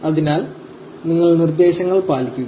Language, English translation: Malayalam, So, you simply follow the instructions